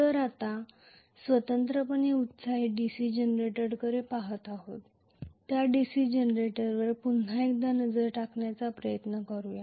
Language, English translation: Marathi, So, lets us try to take a look at now again the DC Generator in that we are looking at separately excited DC Generator